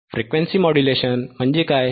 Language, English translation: Marathi, What are frequency modulations